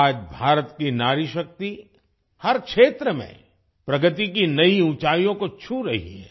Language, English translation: Hindi, Today the woman power of India is touching new heights of progress in every field